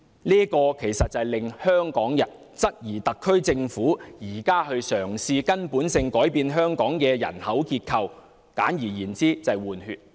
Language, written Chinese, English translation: Cantonese, 這實在令香港人質疑，特區政府現正嘗試根本地改變香港的人口結構，簡而言之，就是"換血"。, This cannot but prompt the people of Hong Kong to suspect that the SAR Government is now attempting to change the demographic structure of Hong Kong at root . In gist this is population replacement